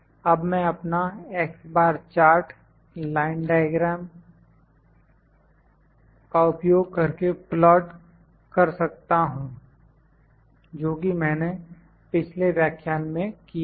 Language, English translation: Hindi, Now, I can plot my x bar chart using the line diagram that I did in the previous lecture